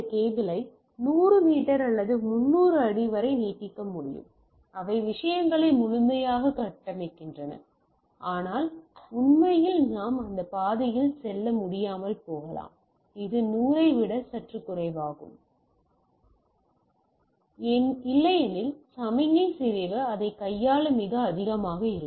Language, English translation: Tamil, So, typically this cable can be stretched up to 100 metres or 300 feet that for say fully construction of things, but in reality we may not able to go that path it is little less than the 100 metres considered as a, otherwise signal degradation will be much higher to handle that